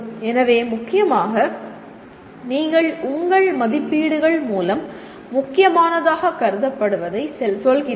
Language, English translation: Tamil, So essentially you are telling through your assessments what is considered important